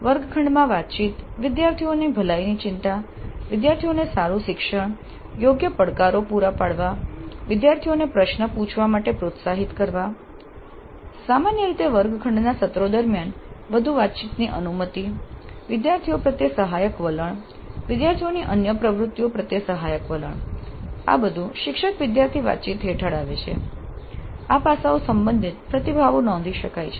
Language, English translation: Gujarati, The classroom communication, concern for the well being of the students, good learning by the students, providing right levels of challenges, encouraging the students to ask questions, in general permitting greater interaction during the classroom sessions, supportive attitude to the students, supportive attitude to other activities of the students, all these come under teacher student interaction